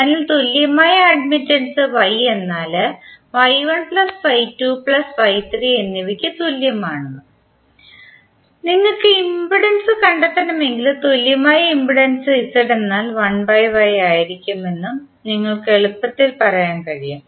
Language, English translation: Malayalam, So you can easily say that the equivalent admittance Y is equal to Y1 plus Y2 plus Y3 and if you have to find out the impedance then the equivalent impedance Z would be 1 by Y